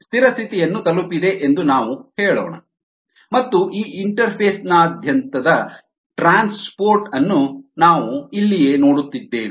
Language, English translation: Kannada, let us say that the steady state has been reached and we are looking at the transport across this interface here